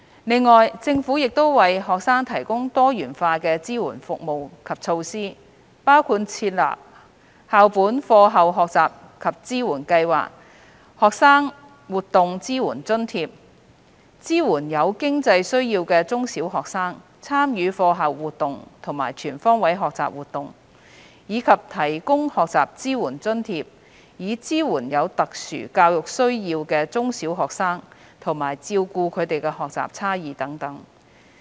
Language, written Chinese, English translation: Cantonese, 此外，政府亦為學生提供多元化的支援服務及措施，包括設立校本課後學習及支援計劃及學生活動支援津貼，支援有經濟需要的中小學生參與課後活動和全方位學習活動，以及提供學習支援津貼以支援有特殊教育需要的中小學生，照顧他們的學習差異等。, In addition the Government also provides a wide range of support services and measures for students including the School - based After - school Learning and Support Programmes and Student Activities Support Grant . They seek to support students with financial needs in primary and secondary schools to participate in after - school activities and life - wide learning activities . Learning Support Grant has also been provided to primary and secondary students with special educational needs to cater for their learning differences etc